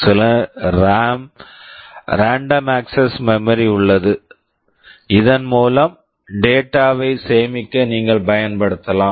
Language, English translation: Tamil, And there is also some RAM – random access memory, which you can use to store data